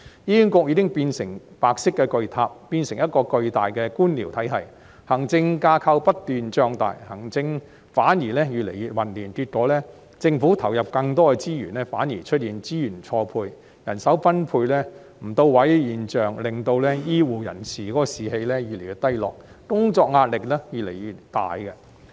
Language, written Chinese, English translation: Cantonese, 醫管局已經變成白色巨塔，變成一個巨大的官僚體系，行政架構不斷脹大，行政反而越來越混亂，結果政府投入更多資源，反而出現資源錯配、人手分配不到位的現象，令醫護人員士氣越來越低落，工作壓力越來越大。, HA has already become a mega white tower a huge bureaucratic structure . While its administrative structure keeps swelling up its administration turns more and more chaotic instead . As a result the Government puts in more resources; yet on the contrary the phenomenon of resource mismatch with ineffective manpower allocation appears thus causing the declining morale and increasing work pressure amongst healthcare staff